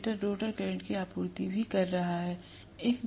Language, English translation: Hindi, Stator is also supplying the rotor current